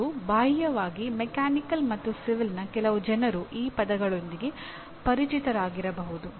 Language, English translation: Kannada, And maybe peripherally some people from Mechanical and Civil also maybe familiar with these words